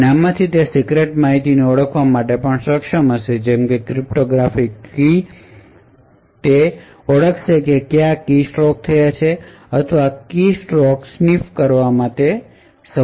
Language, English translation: Gujarati, And from this it would be able to identify secret information like cryptographic keys, it would identify what characters have been pressed, or it would be able to sniff keystrokes and so on